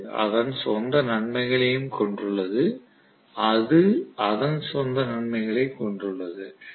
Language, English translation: Tamil, So this have its own advantages, that has their own set of advantages